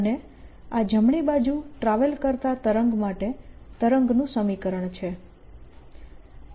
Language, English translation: Gujarati, and this is the wave equation for wave that is traveling to the right